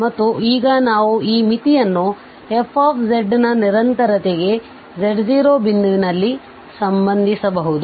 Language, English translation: Kannada, And now, we will relate this limit to the continuity for f z at a point z naught